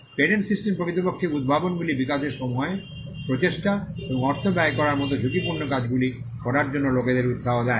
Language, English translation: Bengali, The patent system actually incentivizes people to take risky tasks like spending time, effort and money in developing inventions